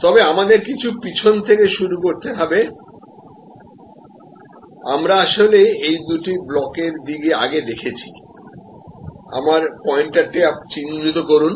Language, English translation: Bengali, But, we have to start a little backward, so we have been actually looking at these two blocks earlier, mark my pointer